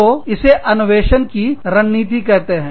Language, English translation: Hindi, So, that is innovation strategy